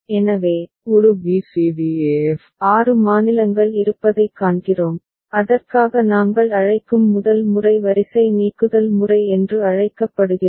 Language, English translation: Tamil, So, we see that a b c d e f six states are there and for that the first method that we shall employ we’ll call, is called row elimination method